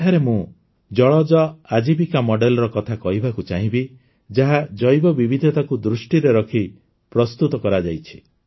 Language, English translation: Odia, Here I would like to discuss the 'Jalaj Ajeevika Model', which has been prepared keeping Biodiversity in mind